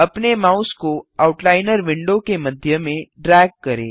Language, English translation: Hindi, Drag your mouse to the middle of the Outliner window